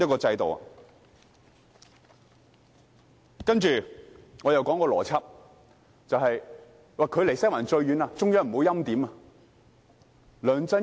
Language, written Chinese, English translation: Cantonese, 接着，我要討論一個邏輯，就是"距離西環最遠的"，中央不會欽點。, Next I would like to discuss the logic that a person farthest away from Western District will not be preordained by the Central Authorities